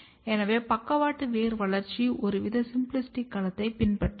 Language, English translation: Tamil, So, does lateral root development follow some kind of symplastic domain